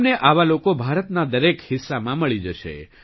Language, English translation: Gujarati, You will find such people in every part of India